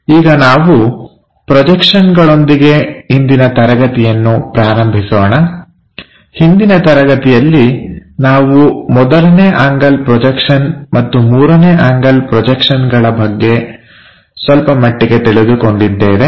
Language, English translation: Kannada, Just to begin with these projections as a summary, in the last classes we have learnt something about first angle projections and third angle projections